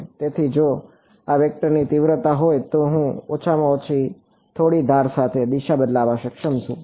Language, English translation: Gujarati, So, if it is the magnitude of this vector I am at least able to impose a direction along some edge ok